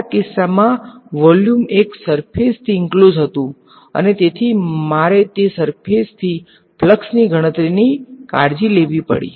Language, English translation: Gujarati, In this case the volume was enclosed by one surface and so I had to take care of the flux through that surface right